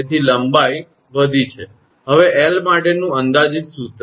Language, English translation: Gujarati, So, length has increased, now approximate formula for l